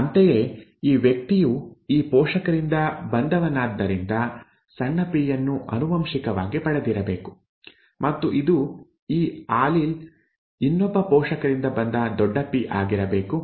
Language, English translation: Kannada, Similarly, this person is from this parent therefore must have inherited a small p, and this, the other allele must have been a capital P from the other parent, okay